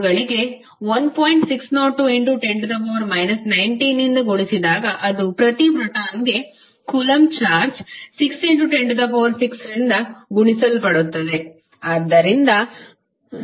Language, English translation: Kannada, 602*10^ 19 that is the coulomb charge per proton multiplied by 6*10^6